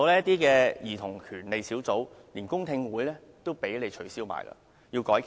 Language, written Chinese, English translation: Cantonese, 還有兒童權利小組委員會的公聽會也被你們取消，必須改期。, Besides the public hearing to be held under the Subcommittee on Childrens Rights has also been called off by you the royalists and must be rescheduled